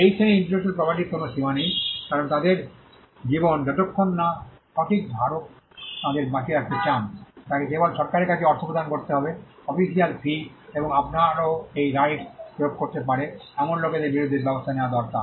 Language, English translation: Bengali, There is no limit to this category of intellectual property because, their life is as long as the right holder wants to keep them alive; he just needs to pay money to the government has official fee and you also needs to take action against people who may use its right